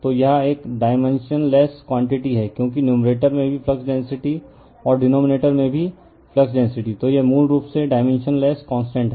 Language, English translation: Hindi, So, it is a dimensionless quantity, because numerator also flux density, denominator also flux density, so it is basically dimensionless constant